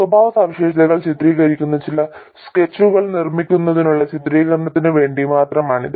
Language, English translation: Malayalam, This is just for illustration in making some sketches illustrating the characteristics